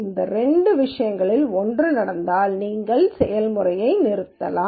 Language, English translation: Tamil, So, one of these two things happen then you can stop the process